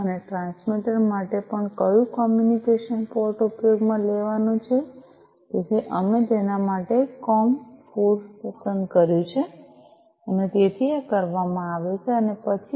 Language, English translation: Gujarati, And also for the transmitter, which communication port is going to be used so we have selected COM 4 for itso, this is done and thereafter